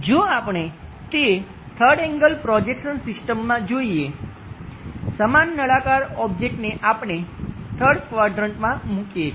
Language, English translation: Gujarati, If we are looking at that in the 3rd angle projection systems, the same cylindrical object in the 3rd quadrant we are placing